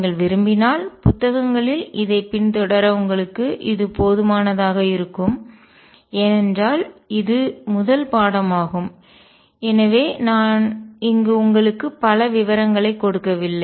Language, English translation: Tamil, And enable you enough to follow this in books if you wish too, because this is the first course so I do not really give a many details here